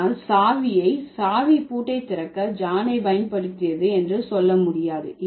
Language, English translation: Tamil, So, you can say John used the key to open the lock